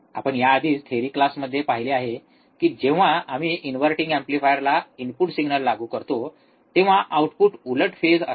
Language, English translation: Marathi, this we have already seen again in the theory class, what we have seen, that when we apply the input signal to the inverting amplifier, the output would be opposite phase